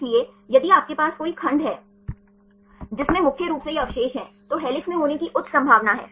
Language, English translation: Hindi, So, if you have any segment, which contains mainly these residues, then there is a high probability to be in helix